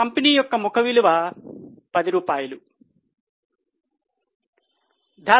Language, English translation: Telugu, Face value of the company is rupees 10